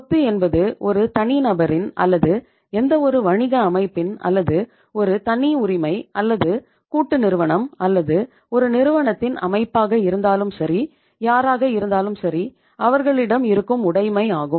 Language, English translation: Tamil, Asset means the property, whether is of an individual, any business organization whether is a sole proprietorship it is the partnership firm or a company form of organization